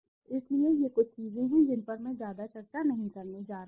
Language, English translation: Hindi, So, these are some of the things which I am not going to discuss much